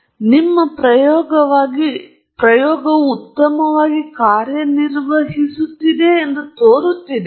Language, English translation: Kannada, So, it looks like your experiment is all running fine